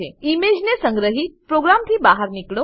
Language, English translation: Gujarati, Save the image and exit the program